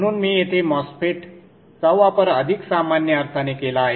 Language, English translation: Marathi, So I have used a masphet here in a more generic sense